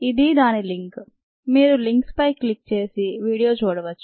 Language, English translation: Telugu, you can click on the link and go and see the video